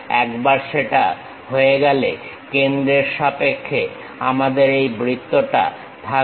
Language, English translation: Bengali, Once that is done, with respect to center we have this circle